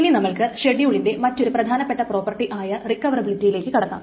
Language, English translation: Malayalam, So, we will next move on to another important property of schedules which is the recoverability